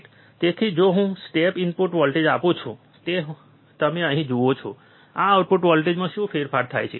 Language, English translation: Gujarati, So, if I apply step input voltage, which you see here, what is the change in the output voltage